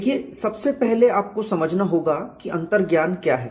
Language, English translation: Hindi, See first of all you have to understand what intuition is